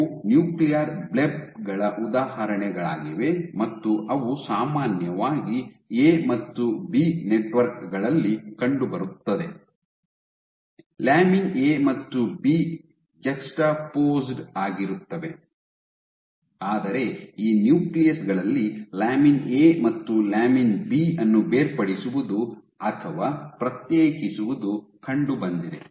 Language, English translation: Kannada, So, these are examples of nuclear blebs and what they found was in general case A and B networks, lamin A and B are juxtaposed, but in these nuclei there was a separation or segregation of lamin A and B ok